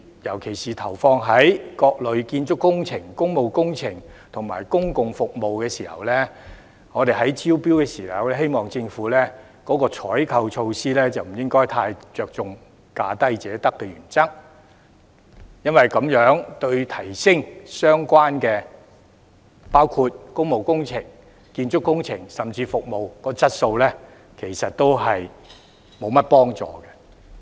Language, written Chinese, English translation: Cantonese, 尤其是就各類建築工程、工務工程及公共服務進行招標時，希望政府的採購措施不應該太着重"價低者得"的原則，因為這樣對於提升相關工務工程、建築工程，甚至服務的質素，沒有多大幫助。, In particular the Governments procurement measures should hopefully not adhere so strictly to the principle of awarding contracts to the lowest bidders in the tendering exercises for various types of construction works public works projects and public services because such practice will be of little help in enhancing the quality of the relevant public works projects construction works and even services